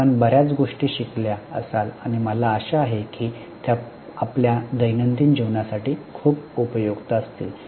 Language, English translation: Marathi, You would have learned many things and I hope they would be very much useful for your day to day life